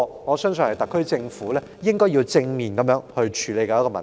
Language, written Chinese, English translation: Cantonese, 我相信這是特區政府應要正面處理的問題。, I believe this is the issue which the SAR Government should face squarely